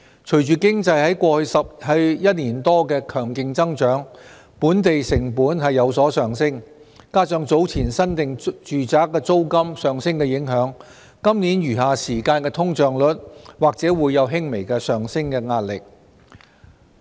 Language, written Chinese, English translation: Cantonese, 隨着經濟在過去一年多的強勁增長，本地成本有所上升，加上早前新訂住宅租金上升的影響，今年餘下時間的通脹率或會有輕微的上升壓力。, Following the robust growth of the economy over the past year or so local costs have increased . Coupled with the impact of the previous increase in fresh - letting residential rentals there may be slight upward pressure on the inflation rate in the rest of this year